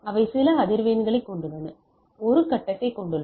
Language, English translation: Tamil, They have some frequency and they have a phase right